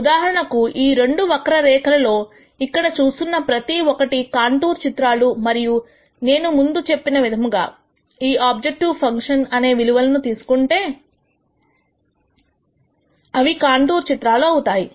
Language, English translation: Telugu, For example, each of these curves that we see here are contour plots and as I mentioned before these contour plots are plots where the objective function takes the same value